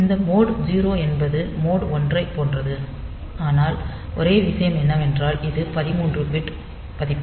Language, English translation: Tamil, So, this is otherwise it is same as mode 0 mode 1, but only thing is that it is a 13 bit value